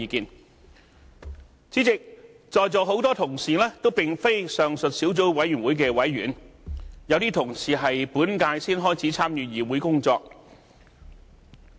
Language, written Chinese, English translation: Cantonese, 代理主席，在座很多同事也並非上述小組委員會的委員，有些同事在本屆才開始參與議會工作。, Deputy President many Honourable colleagues here are not members of the Subcommittee and some took part in the work of this Council only from this term